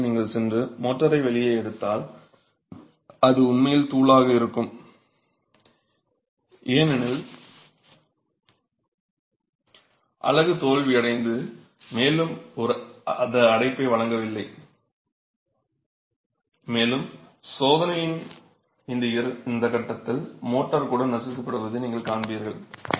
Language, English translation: Tamil, And in this state if you go and pull out the motor, it's actually powder because the unit has failed and it's not offering any more confinement and you will see that the motor is also crushed at this point of the test itself